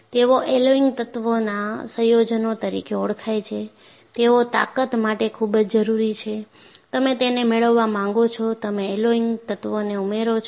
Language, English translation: Gujarati, And they are compounds of alloying elements, they are very essential for strength, you want to have them; that is why, you add alloying elements